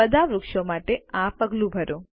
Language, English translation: Gujarati, Repeat this step for all the trees